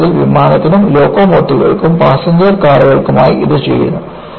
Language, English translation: Malayalam, In fact, this is done for aircraft and locomotives, as well as the passenger cars